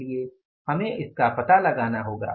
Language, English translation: Hindi, We'll have to find out the reasons for that